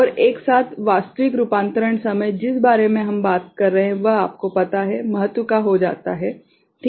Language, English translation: Hindi, And, together the actual conversion time whatever we are talking about this is you know, becomes of significance, right